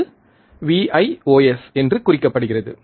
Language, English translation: Tamil, And it is denoted by Vios, alright